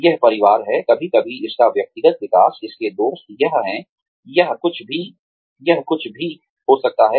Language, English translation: Hindi, It is families, sometimes, its personal development, its friends, it is, it could be anything